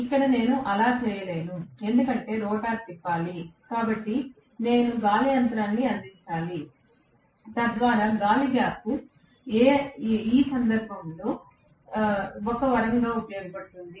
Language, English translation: Telugu, Here, I cannot do that because the rotor has to rotate, so I need to provide the air gap, so that air gap serves as a blessing in this, guys